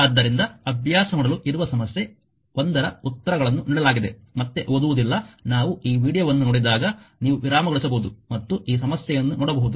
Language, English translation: Kannada, So, exercise 1 answers are given not reading again when you will read this video you can pause and see this problem